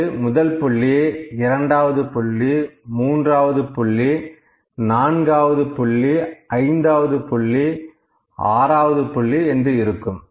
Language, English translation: Tamil, It can be like this, first point, second point, third point, fourth point, fifth point, sixth point it can be like this, ok